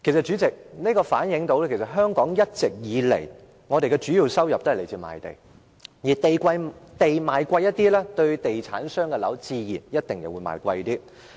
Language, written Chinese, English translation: Cantonese, 主席，這反映出香港一直以來的主要收入也來自賣地，土地賣貴一些，地產商所賣的樓宇自然也可以賣貴一些。, President this reflects that the sale of land has all along been the major source of revenue of Hong Kong . If land is sold at a higher price then property developers may of course sell the flats at a higher price